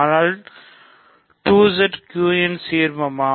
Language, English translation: Tamil, But, is 2Z an ideal of Q